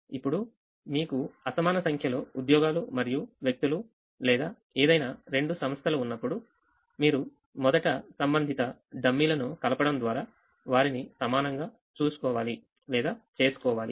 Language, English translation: Telugu, now, when you have an unequal number of jobs and people or any two entities of you first have to make them equal by adding corresponding dummy's